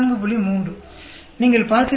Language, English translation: Tamil, 3, you see